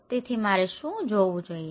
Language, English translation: Gujarati, So, what I should look into